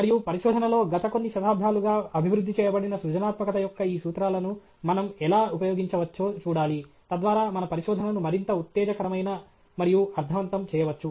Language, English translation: Telugu, And in research, we will have to see how we can use these principles of creativity which have been developed for the past few centuries, so that we can make our research more exciting and meaningful alright